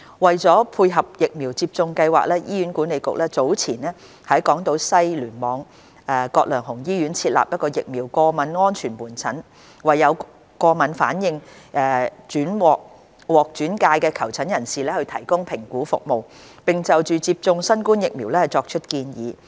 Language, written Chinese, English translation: Cantonese, 為配合疫苗接種計劃，醫院管理局早前在港島西醫院聯網葛量洪醫院設立疫苗過敏安全門診，為有過敏反應獲轉介的求診人士提供評估服務，並就接種新冠疫苗作出建議。, In support of the Vaccination Programme the Hospital Authority HA set up earlier a Vaccine Allergy Safety Clinic VASC at Grantham Hospital of the Hong Kong West Cluster to provide assessment service and vaccination advice for referral cases with history of allergies